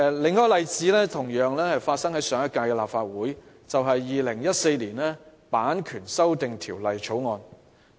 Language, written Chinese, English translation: Cantonese, 另一個例子是上屆立法會審議的《2014年版權條例草案》。, Another example is the Copyright Amendment Bill 2014 scrutinized in the previous legislative session